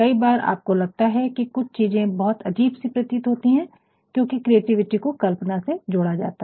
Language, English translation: Hindi, Sometimes, you will find that there are certain things which may appear unusual, because creativity is associated with imagination